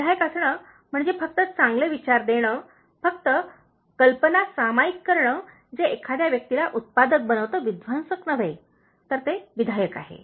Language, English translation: Marathi, So, being constructive is like giving only good thoughts, sharing only ideas which will make the other person productive, not destructive, so that is being constructive